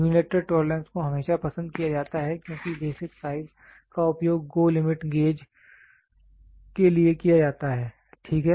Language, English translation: Hindi, The unilateral tolerance is always preferred because the basic size is used to go for GO limit gauge, ok